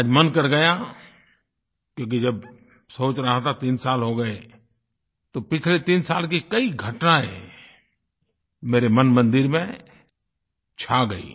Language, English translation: Hindi, Today I felt like sharing it, since I thought that it has been three years, and events & incidents over those three years ran across my mind